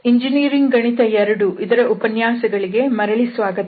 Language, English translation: Kannada, So, welcome back to lectures on Engineering Mathematics II